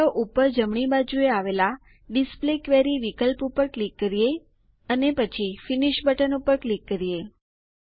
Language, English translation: Gujarati, Let us click on the Display Query option on the top right side and click on the Finish button